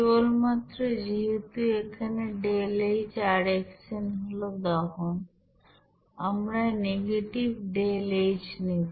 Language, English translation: Bengali, Simply since here deltaHrxn this is combustion, we will be is equal to negative of deltaH